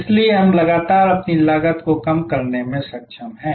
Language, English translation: Hindi, So, that we are constantly able to reduce our cost